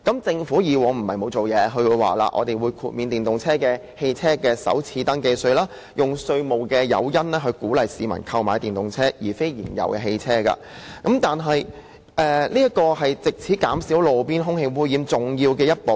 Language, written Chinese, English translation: Cantonese, 政府以往不是沒有做實事，也曾提出豁免電動車首次登記稅，以稅務誘因鼓勵市民購買電動車而非燃油車，這亦是減低路邊空氣污染的重要一步。, The Government is not without solid work done . It implemented a first registration tax FRT exemption for EVs in order to encourage people to purchase EVs instead of fuel - engined vehicles with a taxation incentive . This is an important step in reducing roadside air pollution